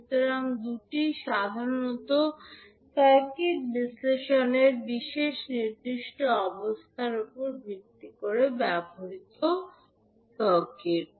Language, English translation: Bengali, So, these are the two commonly used circuits based on the specific conditions in the analysis of circuit